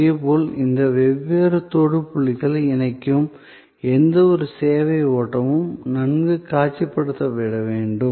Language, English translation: Tamil, Similarly, this flow of service, which links all these different touch points, also needs to be well visualized